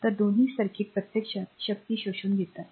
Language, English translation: Marathi, So, both circuits apply it is absorbing the power